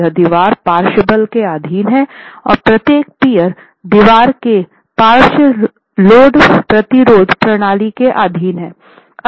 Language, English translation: Hindi, Now this wall is subjected to lateral force and each of the peers are the three pairs form the lateral load resisting system of the wall itself